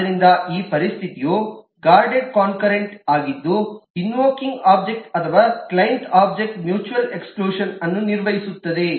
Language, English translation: Kannada, a guarded concurrent is a situation where the invoking object or the client object manages the mutual exclusion